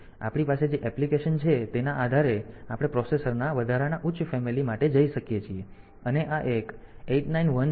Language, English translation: Gujarati, So, based on the application that we have we can have we can go for additional the higher family of processor and this 1 this a 8 9 1 0 5 1 and 8 9 2 0 5 1